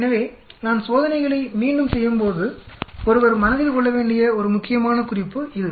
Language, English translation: Tamil, So that is some important point one needs to keep in mind, so when I am repeating experiments